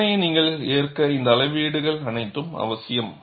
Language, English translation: Tamil, All this measurements are essential for you to accept the test